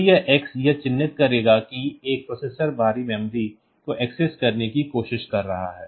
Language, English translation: Hindi, So, this x; so, this will mark that a processor should is trying to access the external memory